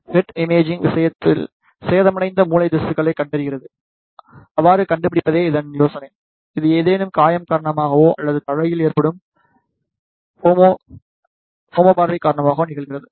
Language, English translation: Tamil, In case of head imaging the idea is to detect and locate the damaged brain tissue, which happens due to either any injury or due to haemorrhagic stroke in the head